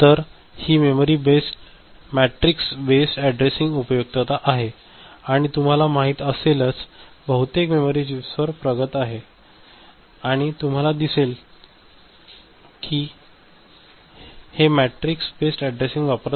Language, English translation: Marathi, So, this is the usefulness of matrix based addressing and most of the you know, advanced to memory chips you know, you will see that it is using matrix based addressing